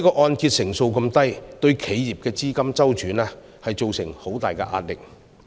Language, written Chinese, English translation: Cantonese, 按揭成數低對企業的資金周轉會造成很大壓力。, Such a low LTV ratio will exert a lot of pressure on the liquidity of enterprises